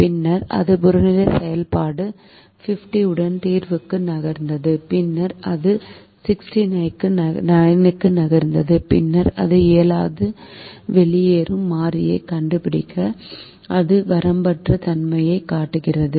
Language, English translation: Tamil, then it moved to the solution with objective function fifty, and then it moved to sixty nine, and then it is unable to find a leaving variable